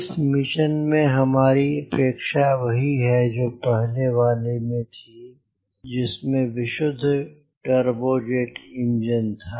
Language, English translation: Hindi, our aircraft is same as the previous one, is pure turbojet engine